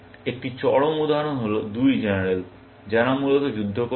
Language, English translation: Bengali, An extreme example is two generals, who are fighting a war, essentially